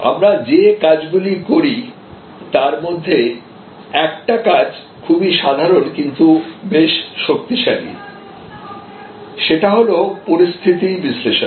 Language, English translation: Bengali, Now, one of the things we do and it is very simple approach, but quite powerful is what we do we call a situation analysis